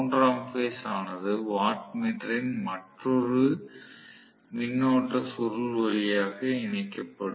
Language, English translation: Tamil, The third phase will also be connected through another current coil of the watt meter